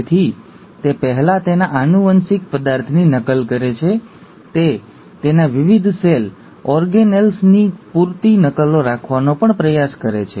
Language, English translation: Gujarati, So it first duplicates its genetic material, it also tries to have sufficient copies of its various cell organelles